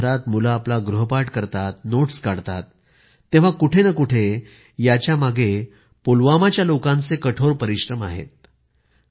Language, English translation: Marathi, Today, when children all over the nation do their homework, or prepare notes, somewhere behind this lies the hard work of the people of Pulwama